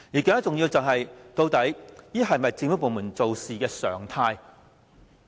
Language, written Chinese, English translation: Cantonese, 更重要的是，究竟這是否政府部門的處事常態？, More important still is this the usual practice of government departments?